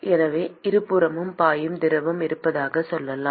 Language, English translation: Tamil, So, let us say that there is some fluid which is flowing on both sides